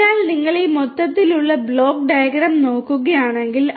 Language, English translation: Malayalam, So, if you look at this overall block diagram